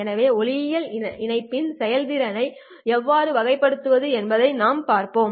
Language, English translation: Tamil, So we have already seen how to characterize the performance of an optical link